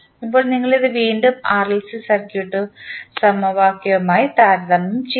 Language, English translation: Malayalam, Now, you will compare this again with the series RLC circuit equation